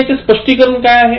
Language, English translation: Marathi, What is the explanation